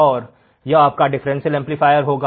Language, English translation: Hindi, And this will be my differential amplifier